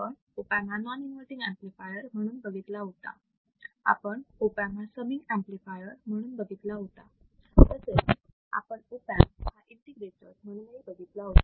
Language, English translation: Marathi, What we have used, we have used opamp a as an inverting amplifier, we have used the opamp as a non inverting amplifier, we have used opamp as a summing amplifier, we have used the opamp as an integrator